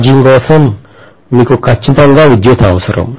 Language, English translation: Telugu, For charging, you need electricity for sure